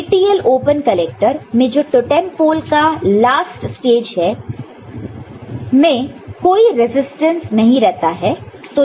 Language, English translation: Hindi, So, in the TTL open collector, the last stage in the totem pole you do not have any resistance, ok